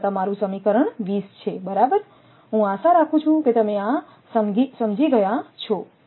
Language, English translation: Gujarati, So, this is your equation 20, right, I hope you have understood this